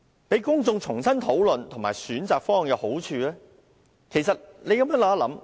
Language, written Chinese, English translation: Cantonese, 讓公眾重新討論和選擇方案其實有好處。, Allowing the public to discuss and pick their options afresh actually has merits